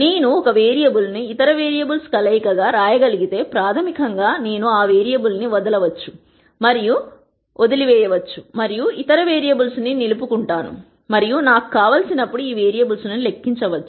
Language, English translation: Telugu, If I can write one variable as a combination of other variables then basically I can drop that variable and retain the other variables and calculate this variable whenever I want